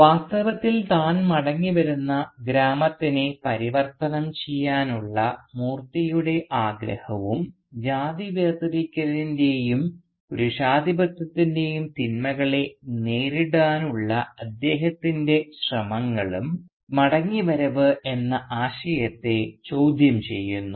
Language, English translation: Malayalam, In fact Moorthy’s desire to transform the village to which he returns and his efforts to confront the evils of caste segregation and of patriarchy renders questionable the very idea of return